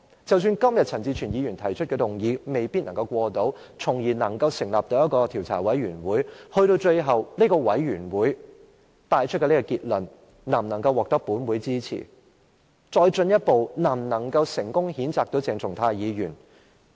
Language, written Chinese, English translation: Cantonese, 即使陳志全議員今天提出的議案未必獲得通過，本會因而可以成立一個調查委員會，但最後這個委員會所得的結論能否獲得本會支持，繼而能否成功譴責鄭松泰議員呢？, Even if the motion proposed by Mr CHAN Chi - chuen today is vetoed and an investigation committee is set up will the conclusion drawn by this committee eventually gain the support of this Council? . Will they succeed with this censure on Dr CHENG Chung - tai?